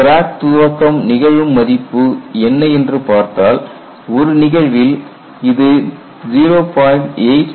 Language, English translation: Tamil, And what is the value at which the crack initiation occurs; in one case it is 0